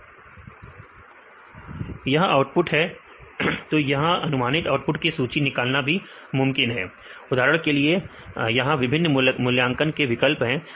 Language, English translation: Hindi, This is the output; so it is also possible to list the output predictions for example, here there are various evaluation options